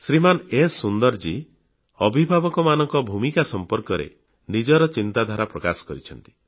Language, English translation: Odia, Sunder Ji has expressed his feelings on the role of parents